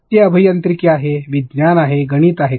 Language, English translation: Marathi, Is it engineering, is it science, is it math